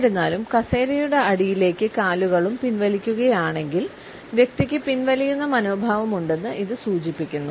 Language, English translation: Malayalam, However, if the feet are also withdrawn under the chair; it suggest that the person has a withdrawn attitude